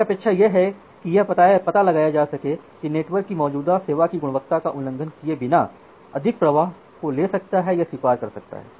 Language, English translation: Hindi, One expectation was to find out whether the network can take or the whether the network can accept more flows without violating the quality of service of the existing flows